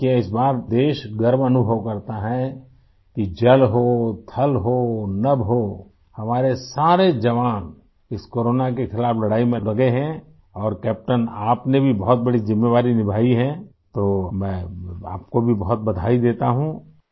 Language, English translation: Urdu, See this time the country feels proud that whether it is water, land, sky our soldiers are engaged in fighting the battle against corona and captain you have fulfilled a big responsibility…many congratulations to you